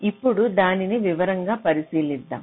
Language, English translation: Telugu, we shall be looking at it in detail, more detail